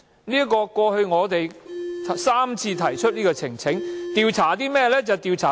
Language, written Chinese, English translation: Cantonese, 我們過去3次提出呈請書所為何事？, For what purposes did we petition on the last three occasions?